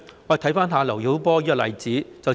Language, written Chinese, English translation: Cantonese, 看看劉曉波的例子便知道。, We would understand the reason by looking at the case of LIU Xiaobo